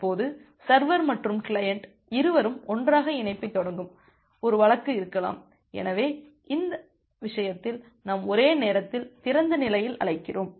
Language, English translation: Tamil, Now, there is there can be 1 case where both the server and the client are initiating the connection together, so in that case that is we call as a simultaneous open